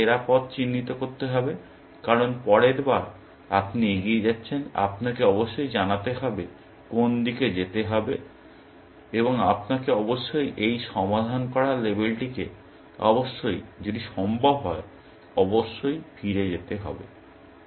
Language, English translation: Bengali, best path, because next time, you are going in the forward phase; you must know which direction to go, and you must also percolate this solved label back, if possible, essentially